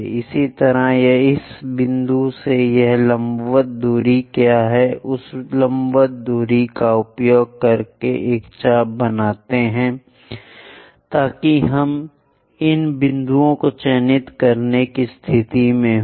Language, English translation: Hindi, Similarly, from this point, what is this vertical distance, use that vertical distance make an arc so that we will be in a position to mark these points